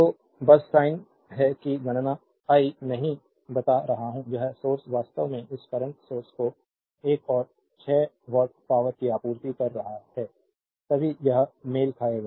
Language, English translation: Hindi, So, just hint is that you calculate I am not telling, this source actually is supplying another 6 watt power right this current source then only it will match